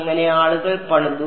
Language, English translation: Malayalam, So people have built